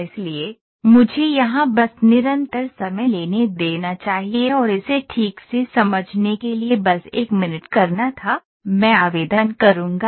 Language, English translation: Hindi, So, let me pick just constant time here and it was just to make to understand properly it was 1 minute I will apply